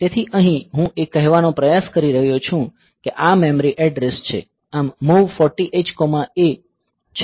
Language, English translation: Gujarati, So, here trying to say that this is the memory address; so, MOV 40 h 40 h comma A